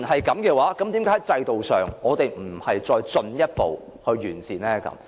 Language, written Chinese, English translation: Cantonese, 既然如此，為何我們不進一步完善制度？, There are many rumours like this . If so why do we not further improve the system?